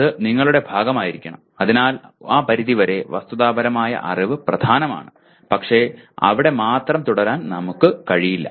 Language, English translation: Malayalam, It has to be part of your, so to that extent factual knowledge is important but we cannot afford to remain only there